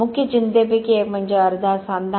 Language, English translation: Marathi, One of the major concern is the half joint